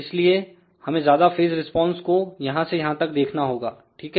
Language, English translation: Hindi, So, we have to see the phase response more from here to here, ok